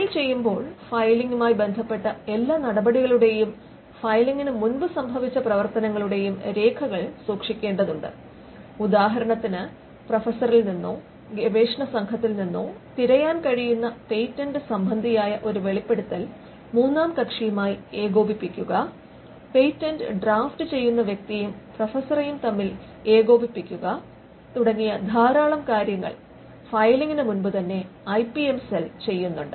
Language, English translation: Malayalam, So, filing they have to keep record of every action pertaining to filing and the actions that happened before the filing; for instance coordinating with the third party getting a disclosure that is searchable from the professor or the research team, coordinating between the person who draughts the patent and the professor this quite a lot of work that the IPM cell does even before the filing